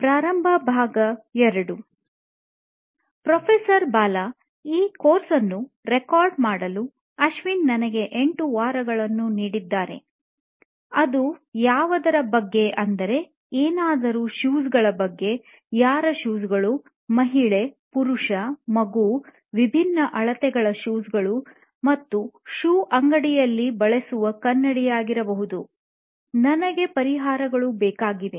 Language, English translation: Kannada, Ashwin has given me 8 weeks to record this course and what is it about, something about shoes, somebody shoes, shoes, woman, man, child, different sizes, that mirror that you use in a shoe shop, I need ideas